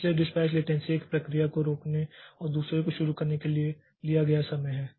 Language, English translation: Hindi, So, the dispatch latency, it is the time it time taken for the dispatcher to stop one process and start another one